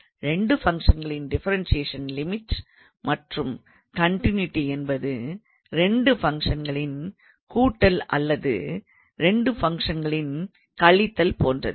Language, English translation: Tamil, So, like we did for the differentiation or a limit and continuity for the sum of 2 functions or difference of 2 functions and things like that